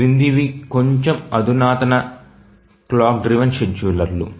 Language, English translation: Telugu, Now let's look at slightly more sophisticated clock driven schedulers